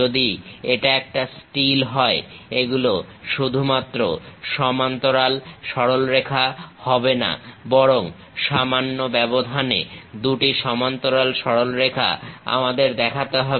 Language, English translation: Bengali, If it is a steel, these are not just parallel lines, but two parallel line together we have to show with a gap